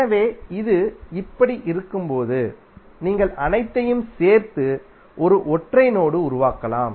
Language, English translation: Tamil, So when it is like this you can join all of them and create one single node